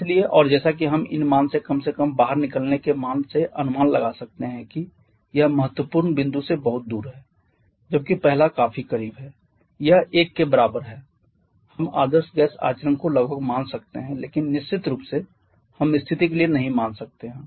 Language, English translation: Hindi, So and as we can estimate from these values at least from exit value it is for away from the critical point where is the first one is quite close this is equal to 1 we can almost assume the ideal gas behaviour but definitely we can do for the second situation